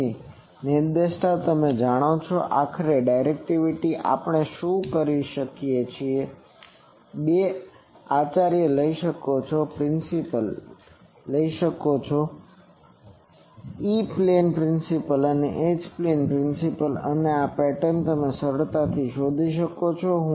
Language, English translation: Gujarati, So, directivity you know that approximately directivity what we can do you take two principal, if principal E plane and principal H plane pattern and from this pattern you can easily find out the I will write beam width 3 dB E